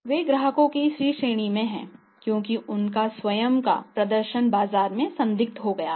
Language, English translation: Hindi, So, means they are the C category of the customers because their own performance has become doubtful in the market